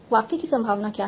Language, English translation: Hindi, What is the probability of a sentence